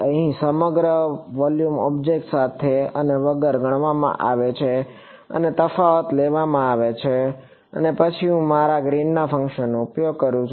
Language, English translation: Gujarati, Here the entire volume is considered with and without object and the difference is taken and then I use my Green’s function